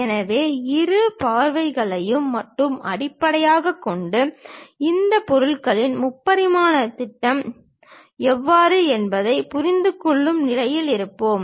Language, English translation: Tamil, So, based on both the views only, we will be in a position to understand how the three dimensional projection of this object